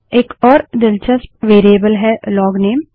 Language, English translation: Hindi, Another interesting variable is the LOGNAME